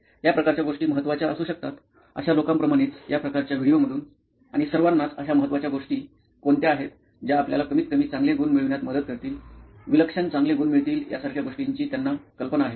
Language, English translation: Marathi, Like people who say this kind of thing can be important, this kind of like from videos and all, they have an idea of the things like what are the important things which will help you to at least get good marks, score extraordinarily good